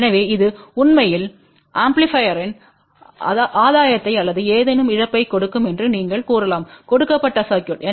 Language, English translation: Tamil, So, hence this you can say will actually give the gain of the amplifier or loss of any given circuit